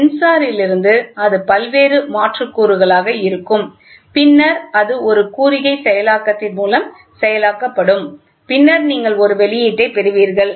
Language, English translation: Tamil, So, from the sensor, it will be various conversion elements, then it will be a signal processing signal is getting processed, then you get an output